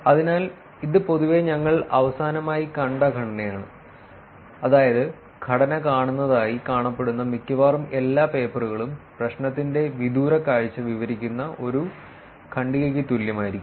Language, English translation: Malayalam, So, this is generally the structure that we saw even the last time, meaning almost all papers appears see the structure would be the same a paragraph about the 30,000 feet high view of the problem